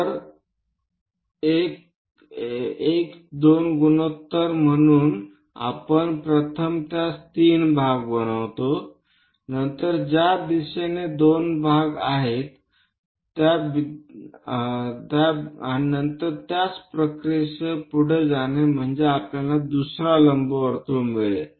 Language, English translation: Marathi, So 1 2 ratio that means we have to make it into 3 parts first of all, then locate 2 parts in that direction 1 part then go with the same procedure we will get another ellipse